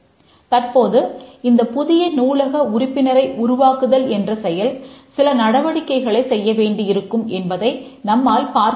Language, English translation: Tamil, Now we can see that the create new library member requires some activities to be performed